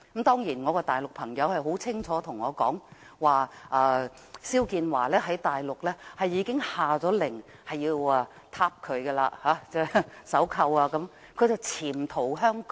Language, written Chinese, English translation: Cantonese, 當然，我的大陸朋友清楚告訴我，大陸已下令要把肖建華抓回去，甚至要鎖上手銬，而他只是潛逃香港。, Certainly I have been clearly told by my friend from the Mainland that the authorities have ordered that XIAO Jianhua be arrested repatriated and even handcuffed though he was only hiding in Hong Kong